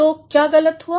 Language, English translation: Hindi, So, what went wrong